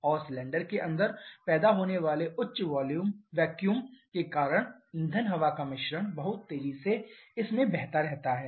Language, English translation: Hindi, And because of the high vacuum that is created inside the cylinder fuel air mixture keeps on flowing very rapidly into this